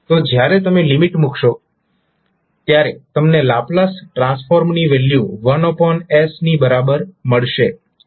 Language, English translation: Gujarati, So, when you put the limit you will get the value of Laplace transform equal to 1 by s